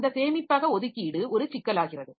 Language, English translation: Tamil, So, that storage allocation is a problem